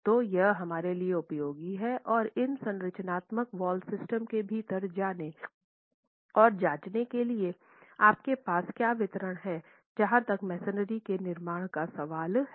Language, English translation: Hindi, So it is useful for us to go and examine within the structural wall systems what distribution do you have as far as masonry constructions are concerned